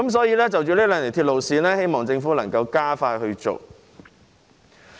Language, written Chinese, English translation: Cantonese, 因此，就這兩條鐵路線，我們希望政府能夠加快處理。, Therefore we hope that the Government can expedite the handling of these two railway lines